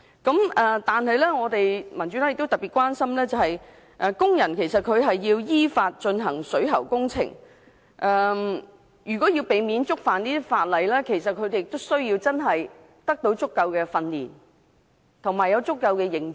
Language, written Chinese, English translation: Cantonese, 但是，民主黨特別關心，工人如要依法進行水喉工程，避免觸犯有關法例，他們需要得到足夠的訓練，以及要有足夠的認知。, The Democratic Party is particularly concerned about the provision of adequate training to workers to equip them with sufficient knowledge so that they can carry out the plumbing works lawfully without contravening any ordinance